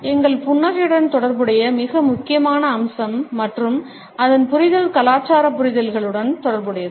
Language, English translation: Tamil, A very important aspect related with our smiles and its understanding is related with cultural understandings